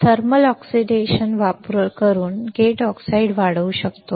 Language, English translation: Marathi, We can go grow gate oxide is by using thermal oxidation